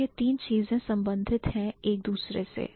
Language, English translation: Hindi, So, these three things they are related to each other